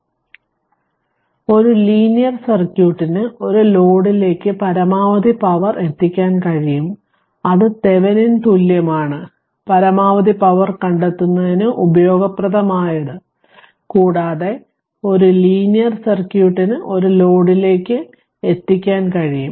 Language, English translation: Malayalam, So, a linear a linear circuit can deliver to a load right maximum power that is the Thevenin equivalent useful in finding maximum power and a linear site can linear circuit can deliver to a load